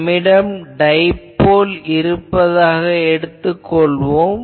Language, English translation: Tamil, So, let us say that we have a dipole